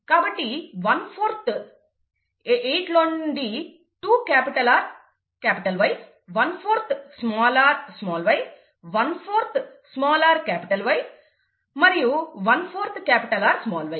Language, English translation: Telugu, Therefore, one fourth, you know, two out of eight is capital R capital Y, one fourth is small r small y, one fourth is small r capital Y, and one fourth is capital R small y